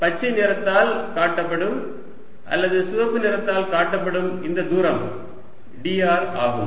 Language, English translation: Tamil, so this distance shown by green or shown by red, is d